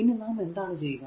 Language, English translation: Malayalam, Now, how we will do it